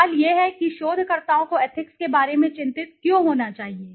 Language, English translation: Hindi, The question is this, why should researchers be concerned about ethics